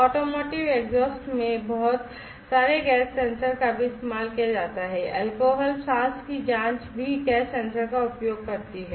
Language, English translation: Hindi, Automotive exhausts also used lot of gas sensors different types, alcohol breath test also use gas sensor